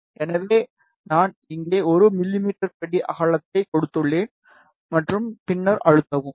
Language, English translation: Tamil, So, I have given here 1 mm step width, and then press ok